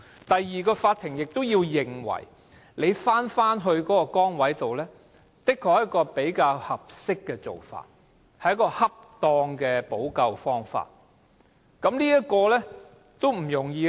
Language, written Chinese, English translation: Cantonese, 第二關，法院必須認為僱員返回原來崗位，是較合適或恰當的補救方法，這是不容易的。, The second hurdle is that the court must consider that the employees return to the original post is a more appropriate or proper remedy which is not easy